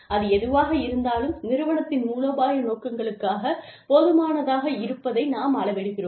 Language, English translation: Tamil, Whatever, we are measuring, needs to be important enough, for the strategic objectives of the company